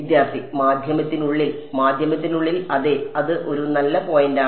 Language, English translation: Malayalam, Inside the medium Inside the medium yes that is a good point right